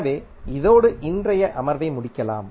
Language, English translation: Tamil, So, with this we can conclude the today’s session